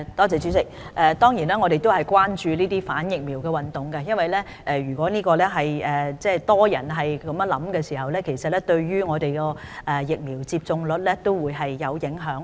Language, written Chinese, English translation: Cantonese, 主席，我們當然關注反疫苗運動，因為如果很多人有這種想法，對疫苗接種率會有影響。, President we are certainly concerned about vaccine hesitancy as the vaccination rate will be affected if many people have this way of thinking